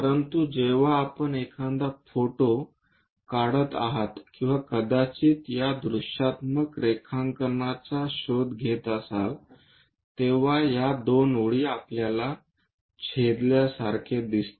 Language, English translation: Marathi, But when you are taking a picture or perhaps looking through this perspective drawing, these two lines looks like they are going to intersect